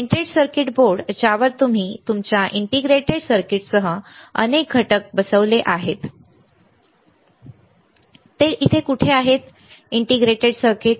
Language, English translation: Marathi, Printed circuit board on which you have mounted several components including your integrated circuit, where is it here, integrated circuit, right